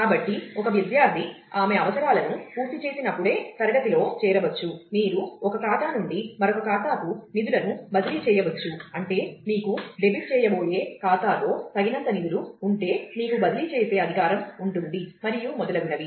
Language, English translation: Telugu, So, a student can enroll in a class only if she has completed prerequisites, you can transfer funds from one account to the other, provided, you have the authority to transfer, provided you have enough funds in the account that is going to get debited and so on